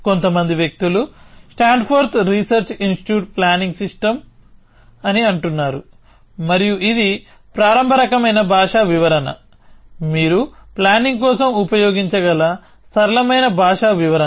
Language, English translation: Telugu, Some people say, stand ford research institute planning system essentially and that was the earliest kind of language description, the simplest kind of language description that you can use for planning